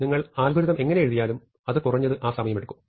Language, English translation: Malayalam, It is not so useful to say that this algorithm takes at least so much time